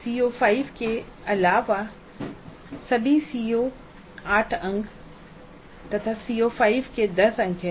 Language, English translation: Hindi, All the COs other than CO 5, 8 marks each then CO5 is 10